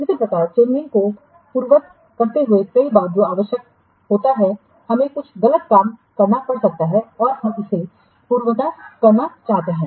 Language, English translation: Hindi, Similarly, undoing the changes several times what is required, we may have to, we have done something wrong thing and we want to undo it